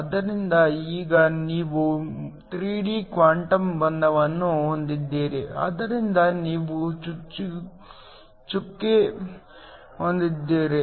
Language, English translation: Kannada, So, Now, you have 3D quantum confinement, so you have a dot